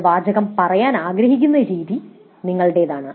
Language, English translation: Malayalam, The way you want to phrase it is up to you